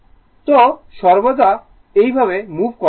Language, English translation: Bengali, So, everywhere you can if you move like this